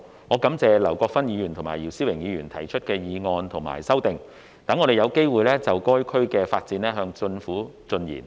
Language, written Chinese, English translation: Cantonese, 我感謝劉國勳議員及姚思榮議員分別提出議案和修正案，讓我們有機會就該區的發展向政府進言。, I am grateful to Mr LAU Kwok - fan and Mr YIU Si - wing for proposing the motion and the amendment respectively thus giving us a chance to present to the Government our views on the development of the region